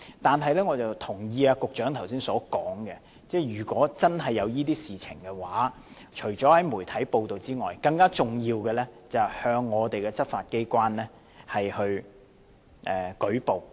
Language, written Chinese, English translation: Cantonese, 但是，我也同意局長剛才所說，如果真的發生這些事情，除了向媒體披露外，更重要的便是向執法機關舉報。, But I agree with the Secretary that in case such things happen apart from disclosing to the media what is more important is to report to the law enforcement agencies